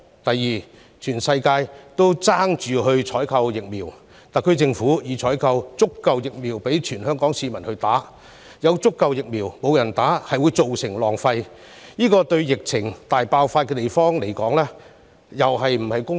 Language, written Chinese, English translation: Cantonese, 其次，當全世界都爭相採購疫苗時，特區政府已採購足夠疫苗供全港市民接種，但有足夠疫苗卻沒有人接種，造成浪費，這對疫情大爆發的地方來說又是否公平？, Secondly when the whole world is scrambling to purchase vaccines the SAR Government has purchased a sufficient number of doses for vaccination for all Hong Kong people . It will therefore be a waste if people refuse to get vaccinated though sufficient vaccines are available . Is this fair to places where there are serious outbreaks of the epidemic?